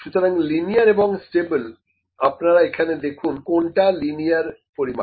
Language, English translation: Bengali, So, linear and stable, could you please see which is the linear measurement here